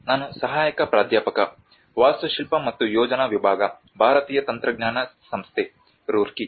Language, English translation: Kannada, I am an assistant, Department of Architecture and Planning, Indian Institute of Technology, Roorkee